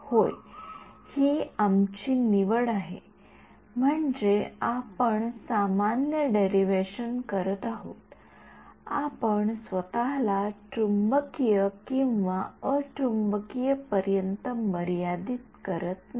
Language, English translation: Marathi, Yeah, it is an our choice, I mean we are doing a general derivation, we are not restricting ourselves to magnetic or non magnetic